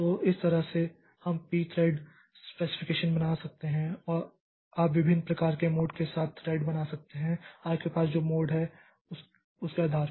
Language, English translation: Hindi, So, this way we can create a p thread specification says that you can create threads with different types of modes and depending upon the mode that you have